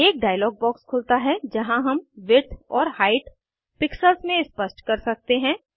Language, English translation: Hindi, A dialog box opens, where we can specify the width and height dimensions, in pixels